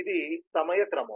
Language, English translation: Telugu, so this is the time sequence